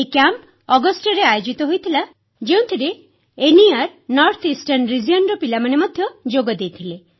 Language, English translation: Odia, This camp was held in August and had children from the North Eastern Region, NER too